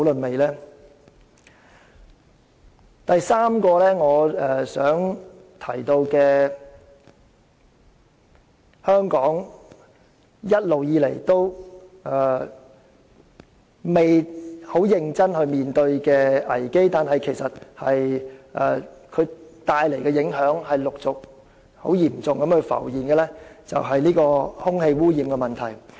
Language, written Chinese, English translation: Cantonese, 我想提出的第三個危機，是香港一直沒有認真面對，但其帶來的嚴重影響正陸續浮現的空氣污染問題。, The third crisis I would like to mention is the air pollution problem . Hong Kong has never addressed the issue seriously but its serious implications have started to emerge one after another